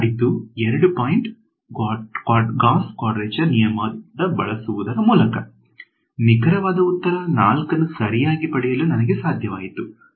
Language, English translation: Kannada, So, let us observe that what we did is by using only at 2 point Gauss quadrature rule, I was able to get the exact answer 4 right